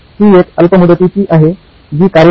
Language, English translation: Marathi, This is a short term which works